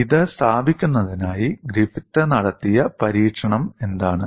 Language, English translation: Malayalam, What is the kind of experiment with Griffith performed to establish this